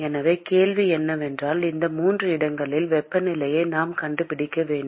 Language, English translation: Tamil, So, the question is we need to find the temperatures of these 3 locations